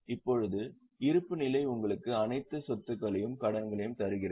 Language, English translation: Tamil, Now, the balance sheet gives you all assets and liabilities